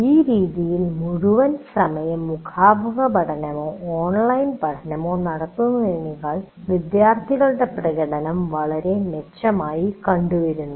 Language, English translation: Malayalam, And it has been found that the performance of the students greatly improved compared to full time online or full time face to face learning experiences